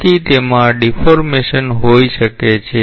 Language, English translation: Gujarati, So, it can have deformation